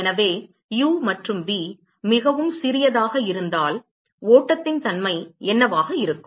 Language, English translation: Tamil, So, what will be the nature of the flow if u and v are very small